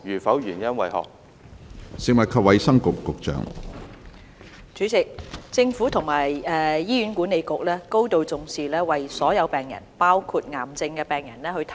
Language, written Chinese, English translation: Cantonese, 關於現行的醫療政策，醫管局會提供最適切的治療給所有病人，包括癌症病人。, Regarding the present health care policy HA will provide the optimal treatment option for all patients including cancer patients